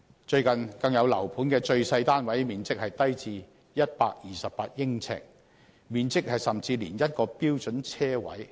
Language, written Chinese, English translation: Cantonese, 最近，更有樓盤的最細單位面積只有128呎，甚至小於一個標準車位。, Recently the smallest flat in one property development is only 128 sq ft which is even smaller than a standard parking space